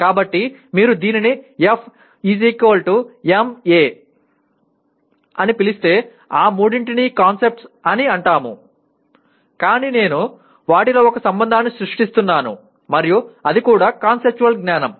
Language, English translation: Telugu, So if you call it F = ma all the three are concepts but I am creating a relationship among them and that is also conceptual knowledge